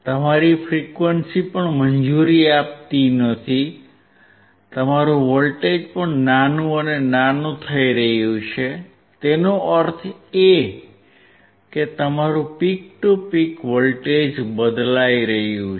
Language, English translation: Gujarati, Your frequency is also not allowing and your voltage is also getting smaller and smaller; that means, your peak to peak voltage is getting changed